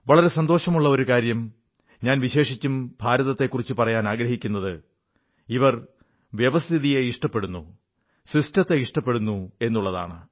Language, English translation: Malayalam, And the best part is; especially in the case of India; according to me, they appreciate the system